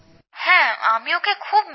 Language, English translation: Bengali, Yes, I miss him a lot